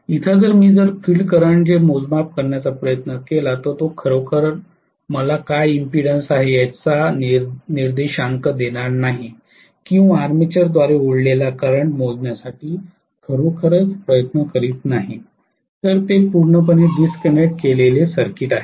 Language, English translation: Marathi, Whereas here if I try to measure to measure the field current that is not going to really give me an index of what is the impedance or the current that would have been drawn by my armature, they are disconnected circuit completely